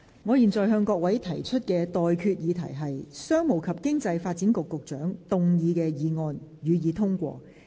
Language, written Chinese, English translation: Cantonese, 我現在向各位提出的待決議題是：商務及經濟發展局局長動議的議案，予以通過。, I now put the question to you and that is That the motion moved by the Secretary for Commerce and Economic Development be passed